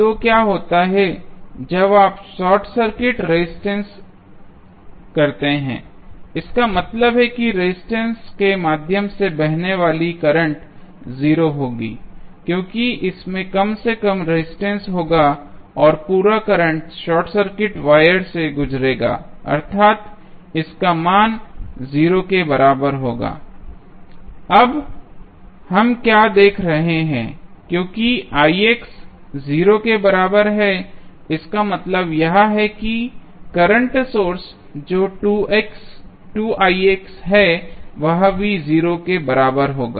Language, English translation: Hindi, So, what happens when you short circuit resistance that means that the current flowing through resistance will be 0, because this will have the least resistance and whole current will pass through the short circuit wire that means that the value of Ix would be equal to 0